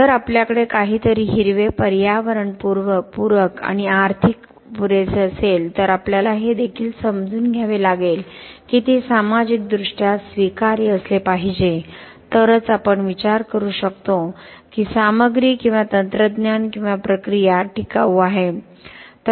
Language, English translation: Marathi, If we have something green, pro environment, ecofriendly and economic enough we also have to understand that it has to be socially acceptable only then we can think that material or a technology or a process is sustainable